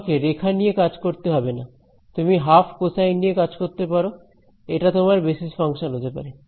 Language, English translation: Bengali, So, you can extend this idea you dont have to deal with lines you can deal with you know half cosines these can be your basis function